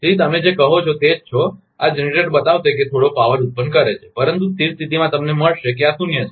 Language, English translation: Gujarati, So, you are what you call this generator will show that is generating some power, but at the steady state you will find this is zero